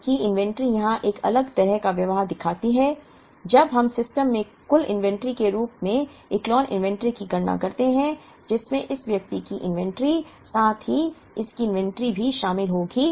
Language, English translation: Hindi, Whereas, inventory here shows a different kind of behavior, when we compute the Echelon inventory as the total inventory in the system, which would include the inventory of this person, as well as the inventory of this person